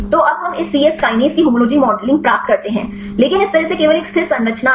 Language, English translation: Hindi, So, now, we get the homology modeling of this c yes kinase, but this way only one static structure